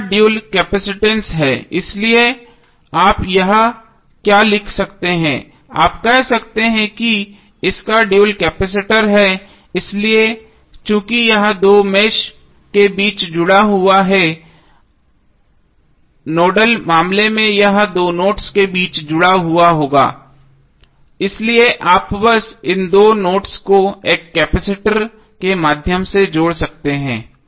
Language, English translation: Hindi, The dual of this is the capacitance so what you can write here you can say that dual of this is capacitor so since it is connected between two mesh in the nodal case it will be connected between two nodes, so you can simply add this two nodes through one capacitor